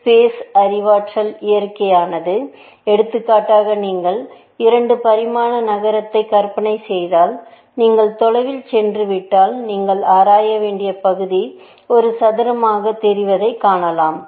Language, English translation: Tamil, We will look at the examples where, space is cognatic in nature, for example, city, if you imagine a 2 dimensional city, then the farther you are go away, you can see the area that you have to explore grows as a square, essentially